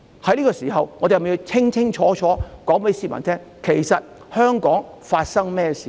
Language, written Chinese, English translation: Cantonese, 在這個時候，我們是否要清楚告訴市民，香港發生了甚麼事呢？, At this time should we tell the public clearly what has happened in Hong Kong?